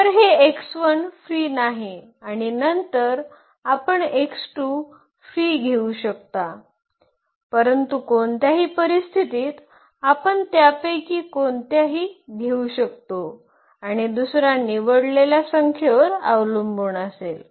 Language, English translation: Marathi, So, this x 1 is not free and then we can take as x 2 free, but any case in any case we can take any one of them and the other one will depend on the given chosen number